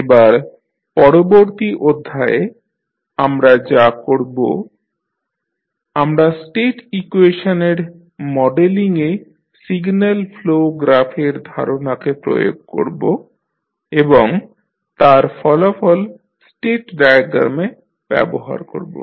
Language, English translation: Bengali, Now, in the next session what we will do, we will use the signal flow graph concept to extend in the modelling of the state equation and the results which we will use in the state diagrams